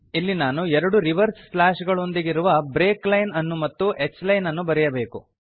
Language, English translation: Kannada, Here I have to put a break line with two reverse slashes and then h line